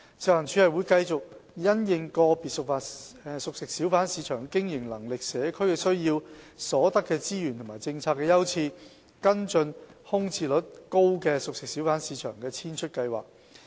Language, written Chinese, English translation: Cantonese, 食環署會繼續因應個別熟食小販市場的經營能力、社區需要、所得資源和政策優次，跟進空置率高的熟食小販市場的遷出計劃。, FEHD will continue to follow up the formulation of exit plans for CFHBs with high vacancy rates having regard to their business viability the needs of the community resource availability and competing priorities